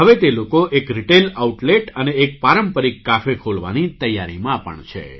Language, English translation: Gujarati, These people are now also preparing to open a retail outlet and a traditional cafe